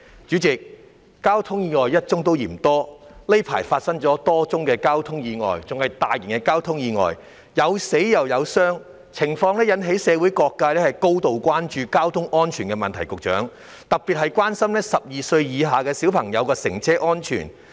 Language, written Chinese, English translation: Cantonese, 主席，交通意外一宗也嫌多，而近期發生的多宗交通意外，均屬涉及傷亡的大型交通意外，因而引起社會各界高度關注交通安全的問題，尤其是12歲以下兒童的乘車安全。, President even one single traffic accident is still too many and the various traffic accidents which occurred recently are major traffic accidents involving casualties thus arousing grave concern about traffic safety in the community in particular the safety of children under the age of 12 travelling in cars